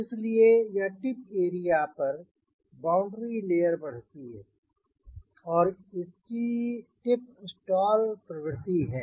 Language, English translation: Hindi, so this tip area, that boundary layer, grows and it is prone to tip stall, one of the factors right